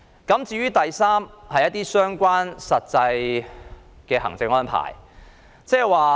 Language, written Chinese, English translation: Cantonese, 第三，是相關的實際行政安排。, The third point concerns the actual administrative arrangements